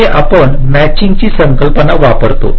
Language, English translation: Marathi, ah, here we use the concept of a matching